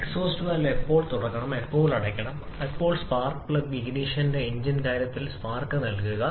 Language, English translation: Malayalam, And when to open the exhaust valve and when to close it and when to provide the spark in case of spark ignition engine